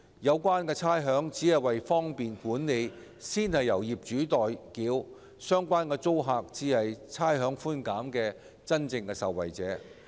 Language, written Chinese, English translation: Cantonese, 有關差餉只是為方便管理而先由業主代繳，相關租客才是差餉寬減的真正受惠者。, The rates concerned are merely paid by the owners on the tenants behalf for the sake of management convenience and the tenants concerned are the genuine beneficiaries of rates concession